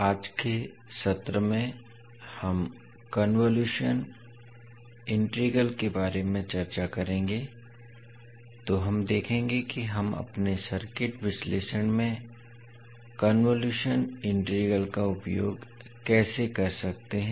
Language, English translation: Hindi, Namashkar, so in today’s session we will discuss about convolution integral, so we will see how we can utilise convolution integral in our circuit analysis